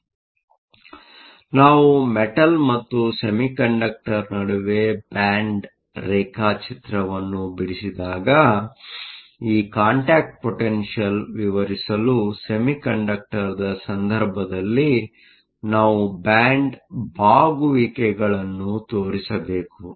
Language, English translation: Kannada, So, when we draw the band diagram between a metal and a semiconductor, we have to show the bands bending in the case of semiconductor to explain this contact potential